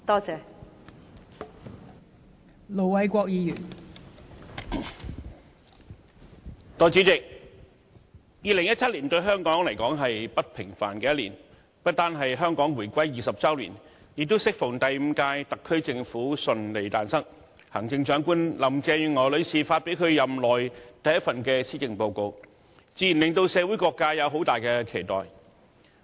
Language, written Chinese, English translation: Cantonese, 代理主席 ，2017 年對香港來說是不平凡的一年，不單是香港回歸20周年，亦適逢第五屆特區政府順利誕生，行政長官林鄭月娥女士發表其任內第一份施政報告，自然令社會各界有很大的期待。, Deputy President 2017 is an extraordinary year for Hong Kong . This year not only marks the 20 anniversary of Hong Kongs return to the Motherland but also the smooth establishment of the fifth SAR Government . All sectors of society naturally have high expectations on the first Policy Address delivered by the Chief Executive Mrs Carrie LAM